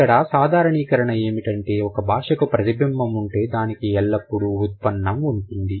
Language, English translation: Telugu, So the generalization here is if a language has inflection, it always has derivation